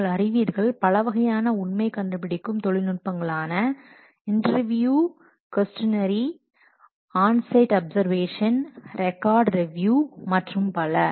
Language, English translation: Tamil, You know the different fact finding techniques like interview and questionnaire on site observation record review etc